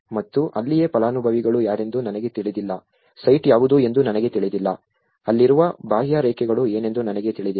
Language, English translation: Kannada, And because that is where I don’t know who are the beneficiaries, I don’t know what is a site, I don’t know what is the contours over there